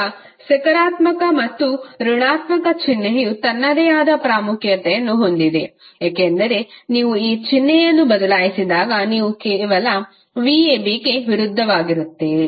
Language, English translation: Kannada, Now, positive and negative sign has its own importance because when you change the sign you will simply get opposite of v ab